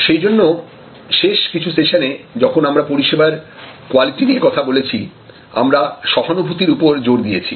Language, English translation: Bengali, So, that is why, in the last few sessions, when we discussed our service quality, we made empathy such a strong point